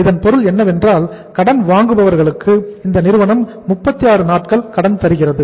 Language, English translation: Tamil, It means this firm is giving the say time to the credit buyers 36 days